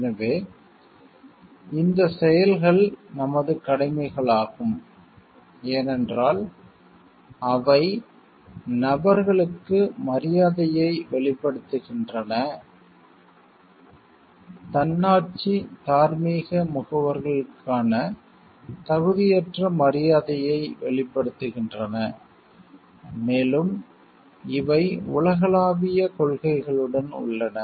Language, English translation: Tamil, So, these actions are our duties because the express respect for persons, express an unqualified regard for the autonomous moral agents, and there these are with universal principles